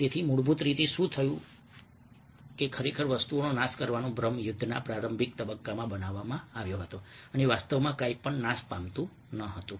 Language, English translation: Gujarati, so what basically happens was that, ah, an illusion of actually destroying things was what was created in the early phase of the war and actually nothing was being destroyed